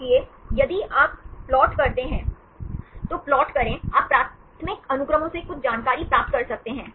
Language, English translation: Hindi, So, if you plot, make a plot, you can get some information from primary sequences right